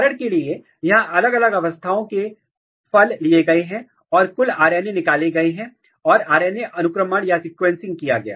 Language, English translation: Hindi, So, here different stage fruits were taken and total RNAs were extracted and RNA sequencing was done